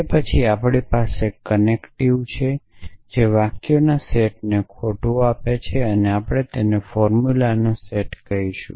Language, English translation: Gujarati, Then, we have connectives and or not imply and so on, which gives lies to a set of sentences, so we will call them a set of formulas